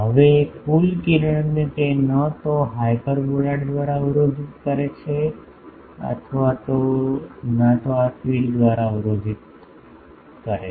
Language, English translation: Gujarati, So, now the total ray they are neither blocked by the hyperboloid nor blocked by this feed